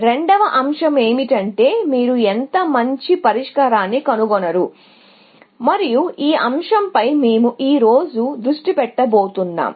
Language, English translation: Telugu, The second aspect is, how good a solution you find, and that is the aspect that we are going to focus on today